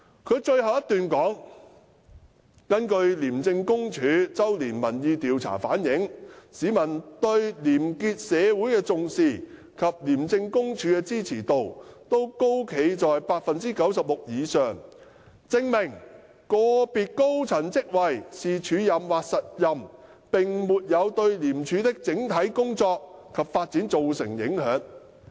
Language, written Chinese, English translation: Cantonese, 他在覆函的末段指出，根據廉署周年民意調查顯示，市民對廉潔社會的重視及對廉署的支持度均高企在 96% 以上，證明不論個別高層職位是署任或實任，並沒有對廉署的整體工作及發展造成影響。, He submitted in the last paragraph of the written reply that according to ICACs annual survey the percentage of public support for a corruption - free society and ICAC itself was high above 96 % and this showed that whether a senior post is held by a person on an acting or substantive appointment will not have any impacts on the overall work and development of ICAC